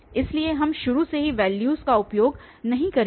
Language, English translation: Hindi, So, we will not use the values from the beginning